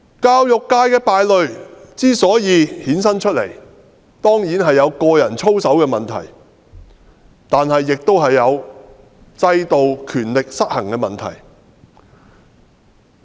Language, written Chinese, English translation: Cantonese, 教育界的敗類之所以衍生出來，當然有個人操守的問題，但亦有制度和權力失衡的問題。, The existence of black sheep in the education sector is certainly caused by bad conduct of individuals but problems of the system and an imbalance of power also have contributed to it